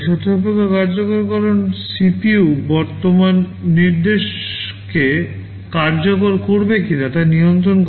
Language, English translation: Bengali, Conditional execution controls whether or not CPU will execute the current instruction